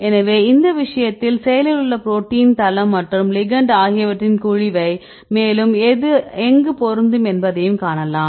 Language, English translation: Tamil, So, in this case either you can see the cavity of the protein site, active site and the ligand you can see where this can fit you can find the complementarity